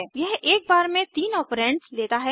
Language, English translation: Hindi, It Takes three operands at a time